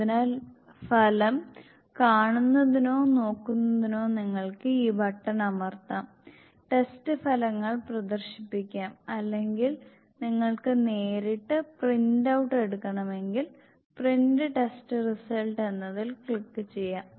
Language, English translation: Malayalam, So for seeing or viewing the result you can press this button, display test results or if you directly want take the print out, you can click on the print test results